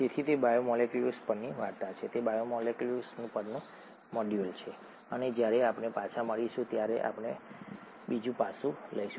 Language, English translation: Gujarati, So that is the story on biomolecules, that is the module on biomolecules, and when we meet up next we will take up another aspect